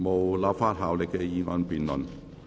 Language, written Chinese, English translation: Cantonese, 無立法效力的議案辯論。, Debate on motion with no legislative effect